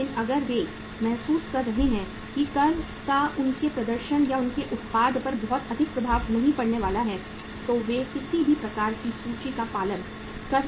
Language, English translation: Hindi, But if they are feeling that the tax is not going to have much impact upon their performance or their product so they can follow any kind of the method of inventory